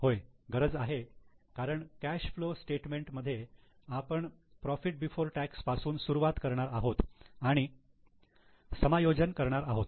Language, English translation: Marathi, Yes, because in cash flow statement we are going to start with PBT and making the adjustments